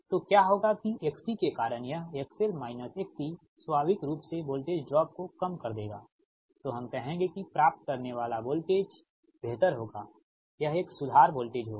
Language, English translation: Hindi, that because of this x c, this x l minus x c component, we will reduce, naturally, voltage drop, we will reduce, so hence the receiving voltage, we will be a better, it will be improved voltage